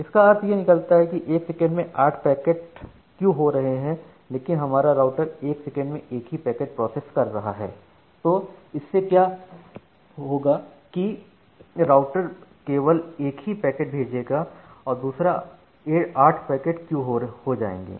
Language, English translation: Hindi, So that means, at every second 8 packets are getting enqueued and that is, but the router is able to process only 1 packet per second so that means, by the time the routers will send this 1 packet in the channel another 8 packet will get enqueued